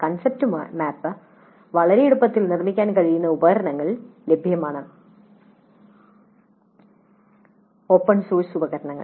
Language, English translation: Malayalam, There are tools available by which the concept map can be constructed very easily open source tools